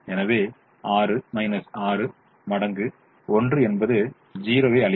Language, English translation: Tamil, so six minus six times one will gives zero